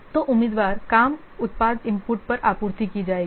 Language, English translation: Hindi, So, the candidate work product, it will be supplied as the input